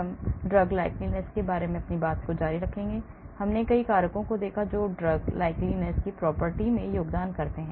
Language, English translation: Hindi, , we will continue on the topic of drug likeness, so we saw many factors that contribute towards the drug likeness property